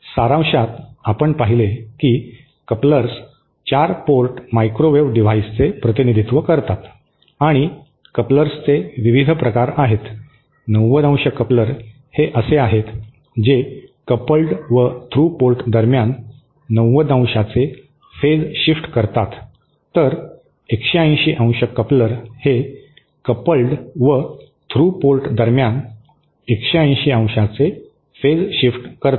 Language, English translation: Marathi, So, so in summary we saw that couplers represent 4 port microwave devices and there are various kinds of couplers, 90¡ couplers are one which provide phase shift of 90¡ between the coupled and through ports, 180 daily couplers are ones which provide 180¡ phase shift between coupled and through ports